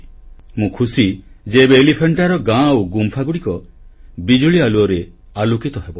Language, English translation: Odia, I am glad that now the villages of Elephanta and the caves of Elephanta will be lighted due to electrification